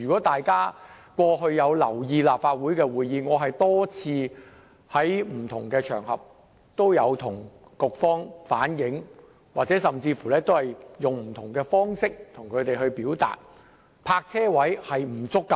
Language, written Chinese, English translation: Cantonese, 大家過去如有留意立法會會議，便知我曾多次在不同場合向局方反映，並採取不同方式向局方表達，泊車位數量不足的問題。, If Members have paid attention to the previous Council meetings they would know that I have conveyed to the Bureaux on various occasions and expressed my concern to them through various means about the problem of inadequate parking spaces